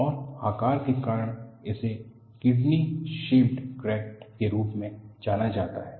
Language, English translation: Hindi, And because of the shape, this is known as a kidney shaped crack